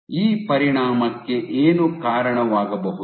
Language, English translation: Kannada, Now what might lead to this effect